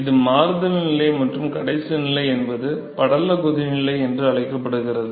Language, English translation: Tamil, So, this is the transition stage and the last stage is the last stage is called the film boiling